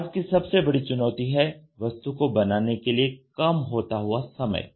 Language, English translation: Hindi, Today the major challenge is shrinking product manufacturing time